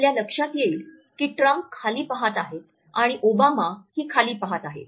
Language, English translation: Marathi, So, you will notice that Trump is looking down and Obama is looking down